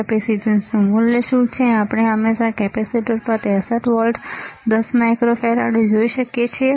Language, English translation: Gujarati, What is the capacitance value, we can always see on the capacitor the 63 volts 10 microfarad ok